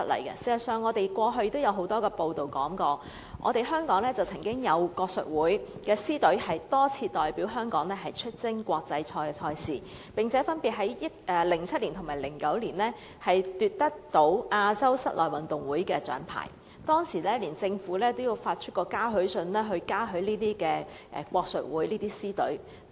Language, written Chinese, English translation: Cantonese, 事實上，過去亦有很多報道，香港曾經有國術會的獅隊多次代表香港出征國際賽賽事，並分別於2007年和2009年奪得亞洲室內運動會的獎牌，當時連政府也發出嘉許信，嘉許國術會的獅隊。, In fact there were press reports about our lion dance team which represented Hong Kong to participate in international competitions winning the medals in the Asian Indoor Games in 2007 and 2009 respectively . Back then even the Government issued a letter of appreciation to the lion dance team of the Hong Kong Chinese Martial Arts Dragon and Lion Dance Association to give due recognition to the achievements